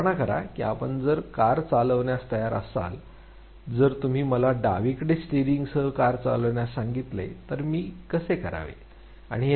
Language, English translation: Marathi, Imagine if you are made to drive a car, if you ask me to drive a car with the steering on the left how would I perform